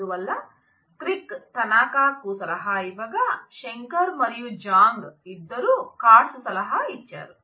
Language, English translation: Telugu, So, crick advises Tanaka where as Shankar and Zhang both are advised by Katz